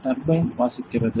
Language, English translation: Tamil, Turbines reading that